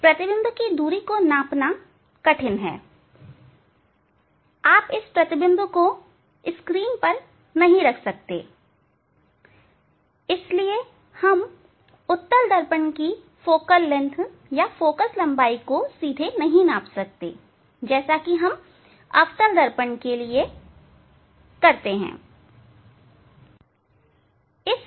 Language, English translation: Hindi, Measuring the image distance is difficulty, you cannot put the image on a screen, so that is why directly we cannot measure the focal length of a convex mirror